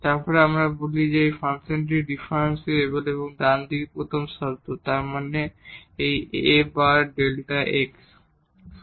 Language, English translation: Bengali, Then we call that this function is differentiable and the first term on this right hand side; that means, this A times delta x